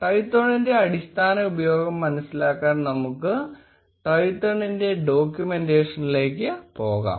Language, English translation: Malayalam, Let us go to Twython’s documentation to understand the basic usage of Twython